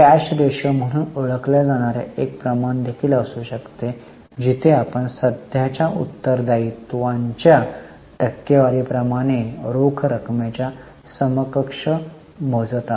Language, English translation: Marathi, There can also be a ratio called as cash ratio where we are calculating cash plus cash equivalent as a percentage of current liabilities